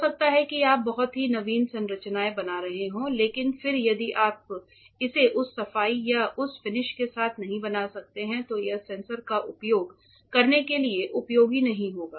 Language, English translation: Hindi, You might be making extremely mind blowing designs very innovative structures, but then if you cannot fabricate it with that cleanliness or that finish it will not be useful to use a sensor